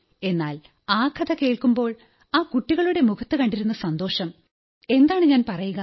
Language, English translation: Malayalam, But when I saw the joy on the children's faces while listening to the story, what do I say to you…